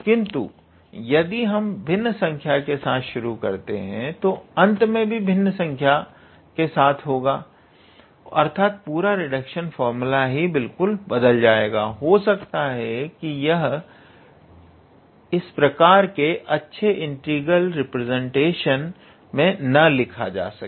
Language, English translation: Hindi, But if we take fractions, then we might end up with some kind of fraction here or the how to say this whole reduction formula will turn into a totally different; it may not follow how to say this type of nice integral representation